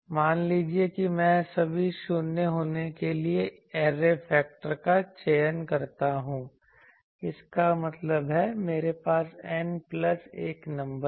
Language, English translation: Hindi, Suppose I choose the array factor to be that I will place let us say that all the 0s; that means, sorry I have an N plus 1 number